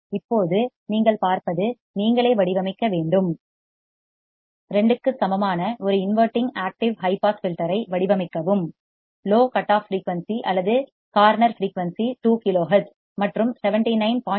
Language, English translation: Tamil, Now what you see is that you have to design; design a non inverting active high pass filter such that gain equals to 2; lower cutoff frequency or corner frequency is 2 kiloHz and capacitance of 79